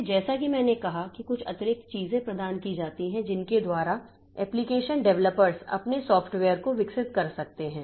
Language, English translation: Hindi, So, as I said that some extra thing that are provided by which the application developers they can develop their piece of software